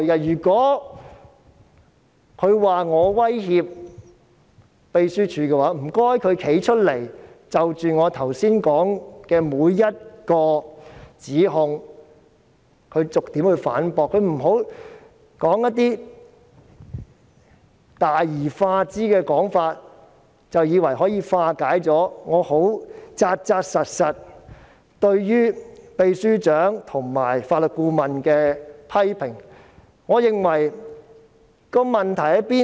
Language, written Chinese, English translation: Cantonese, 如果他指我威脅秘書處，請他站出來逐一反駁我剛才提出的指控，不要用一些大而化之的說法，便以為可以化解我對秘書長和法律顧問十分實在的批評。, Each accusation is justified and based on facts . If he accuses me of intimidating the Secretariat will he please come forward and refute my previous accusations one by one . Do not speak in an exaggerating and vague manner thinking that it can dismiss my concrete criticisms against the Secretary General and Legal Adviser